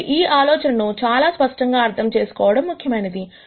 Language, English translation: Telugu, So, it is important to understand this idea very clearly